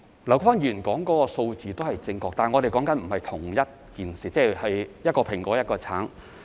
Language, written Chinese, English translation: Cantonese, 劉議員說的數字也是正確，但我們所談的不是同一件事，就像是一個蘋果、一個橙。, The figure quoted by Mr LAU is also correct but we are not referring to the same issue just like one referring to an apple while the other talking about an orange